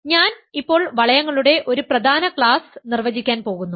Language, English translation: Malayalam, So, I am going to define an important class of rings now